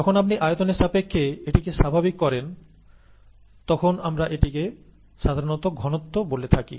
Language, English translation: Bengali, When you normalize it with respect to volume, we call it concentration usually